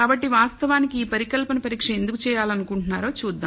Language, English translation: Telugu, So, let us look at why would want to actually do this hypothesis test